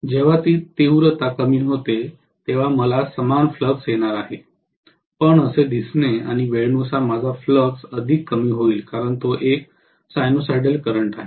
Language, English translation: Marathi, When it decreases in magnitude I am going to have the same flux, but looking like this and I will have further reduction in the flux as time goes by right because it is a sinusoidal current